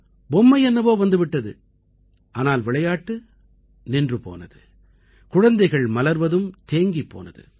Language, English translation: Tamil, The toy remained, but the game was over and the blossoming of the child stopped too